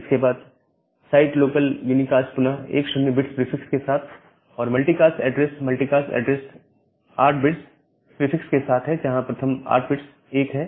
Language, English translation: Hindi, Then site local unicast again with a 10 bit prefix the multicast address with the 8 bit prefix where all the first 8 bits are 1